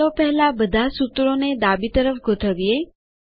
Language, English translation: Gujarati, Let us first align all the formulae to the left